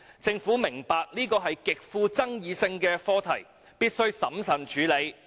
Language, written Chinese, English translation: Cantonese, 政府明白這是一個極富爭議性的課題，必須審慎處理。, The Government understands that this is a highly controversial issue which must be tackled cautiously